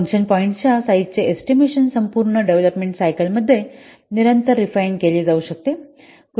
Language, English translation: Marathi, The estimate of size in function points can be refined continuously throughout the development cycle